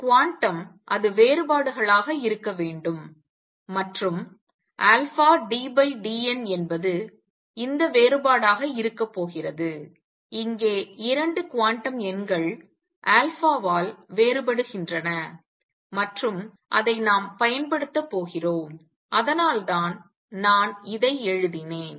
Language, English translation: Tamil, Quantum it has to be differences and alpha d by d n is going to be this difference where the 2 quantum numbers differ by alpha and we are going to make use of it that is why I wrote it